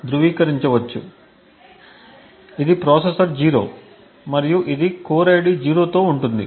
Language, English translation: Telugu, So, this is processor 0 and which is present in this on the core with an ID of 0